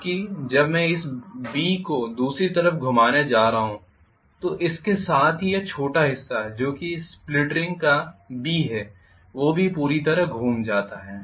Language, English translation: Hindi, Whereas when I am going to have this B rotating on to the other side along with that this small portion that is B of the split ring that would have also rotated to the other side